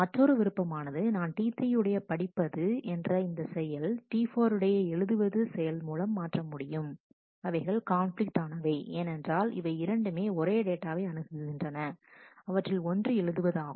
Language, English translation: Tamil, The other option is I could swap read Q in T 3 and write Q in T 4, that they are also conflicting because they access the same data item and one of them is write